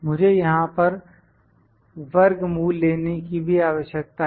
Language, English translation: Hindi, I need to takes square root here as well